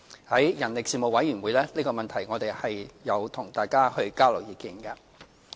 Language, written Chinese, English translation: Cantonese, 在人力事務委員會上，我們亦有就這個問題與大家交流意見。, At the meetings held by the Panel on Manpower we have exchanged views with members on this issue